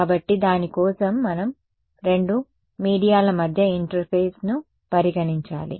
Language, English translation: Telugu, So for that we have to consider the interface between two media